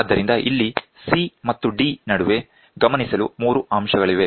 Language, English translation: Kannada, So, here in between C and D, there are 3 points to be noted